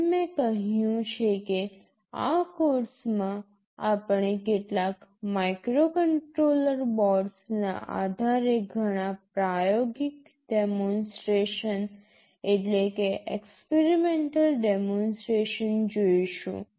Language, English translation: Gujarati, As I said that in this course we shall be looking at a lot of experimental demonstrations based on some microcontroller boards